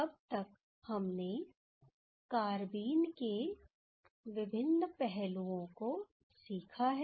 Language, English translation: Hindi, So far we have learned various aspects of carbenes